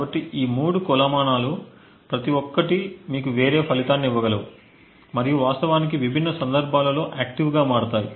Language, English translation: Telugu, So, each of these three metrics could potentially give you a different result and would become actually active in different scenarios